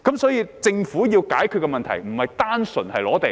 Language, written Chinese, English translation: Cantonese, 所以，政府要解決的問題不單純是收地。, Therefore land resumption is not the only issue to be addressed by the Government